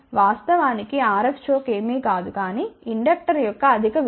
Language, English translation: Telugu, Actually, RF choke is nothing, but a high value of inductor